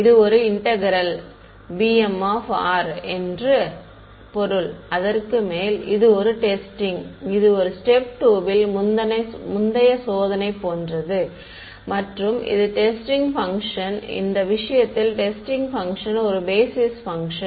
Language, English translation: Tamil, It means that an integral over so, b m r this is testing right, this is same as step 2 earlier testing with a basis with the testing function, in this case the testing function is the same as a basis function right